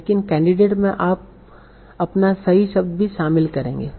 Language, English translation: Hindi, But in the candidate you will also include your actual word